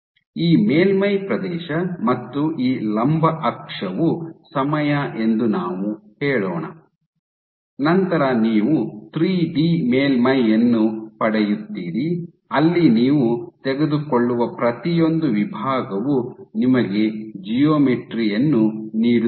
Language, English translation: Kannada, So, let us say this top surface is the area and this vertical axis is my time you would get a 3D, surface where every section that you take every section that you take will give you a given geometry